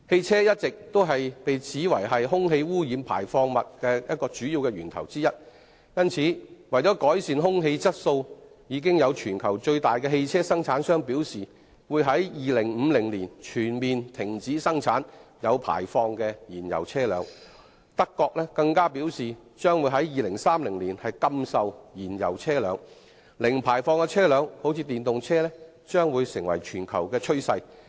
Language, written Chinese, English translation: Cantonese, 車輛一直被指是空氣污染物排放的主要源頭之一，因此，為改善空氣質素，全球最大型的汽車生產商已表示會在2050年，全面停止生產有排放的燃油車輛，德國更表示將會在2030年禁售燃油車輛，故此零排放車輛如電動車將會成為全球趨勢。, Motor vehicles have all along been alleged as a major source of air pollutants . Thus in order to improve air quality the biggest motor vehicle manufacturer in the world has indicated that it will completely stop producing fuel - engined vehicles with emission in 2050 . Germany has also indicated that it will prohibit the sale of fuel - engined vehicles in 2030